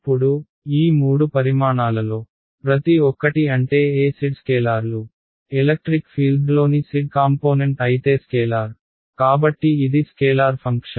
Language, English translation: Telugu, Now, each of these three quantities I mean they are scalars right E z is the scalar if the z component of the electric field, so this is the scalar function right